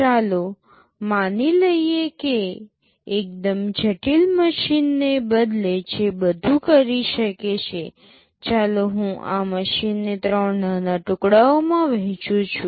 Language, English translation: Gujarati, Now let us assume that instead of a single very complex machine that can do everything, let me divide this machine into three smaller pieces